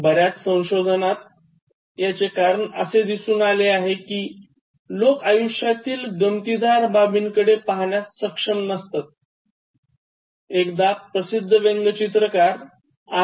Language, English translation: Marathi, So many studies indicate that, it is because people are not able to look at the funny aspect of life, once this famous cartoonist R